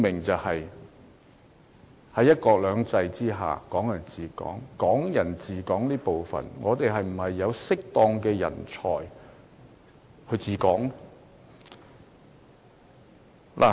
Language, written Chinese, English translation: Cantonese, 就是在"一國兩制"之下"港人治港"，對於"港人治港"這部分，我們是否有適當人才"治港"？, The lesson is that when it comes to Hong Kong people administering Hong Kong under one country two systems we must ask ourselves whether we have the right talent to administer Hong Kong